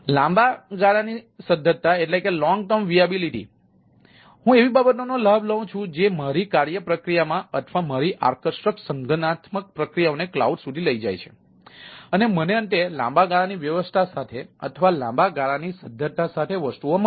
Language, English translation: Gujarati, long term viability: so i leverage the things, my work processes, work flows or my deferent organisational processes into the cloud and i end up in a long term viability things or long term arrangement with the things